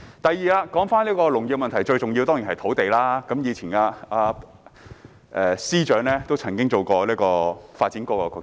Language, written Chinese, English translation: Cantonese, 第二，說回農業的問題，當中最重要的當然是土地，而司長也曾擔任發展局局長。, Second I will return to the topic on agriculture . Land is definitely the key to agriculture . The Financial Secretary once served as the Secretary for Development